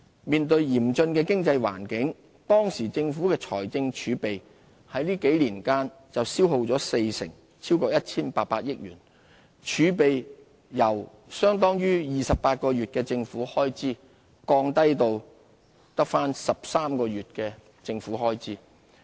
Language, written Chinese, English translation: Cantonese, 面對嚴峻的經濟困境，當時政府財政儲備在這幾年間就消耗了四成，超過 1,800 億元，由相當於28個月的政府開支，降至13個月的政府開支。, We experienced five years of fiscal deficits which depleted 40 % or over 180 billion of our fiscal reserves leaving these at a level equivalent to only 13 months instead of 28 months of government spending